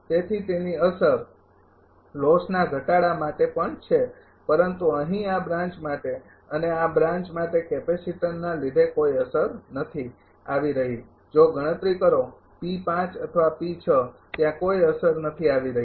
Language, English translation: Gujarati, So, it effect is there also for loss reduction, but here for this branch and this branch there is no effect is coming for the capacitor whether computing P 5 or P 6 there is no effect is coming